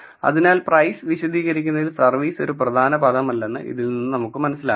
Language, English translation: Malayalam, So, this tells you that service is not an important term in explaining the price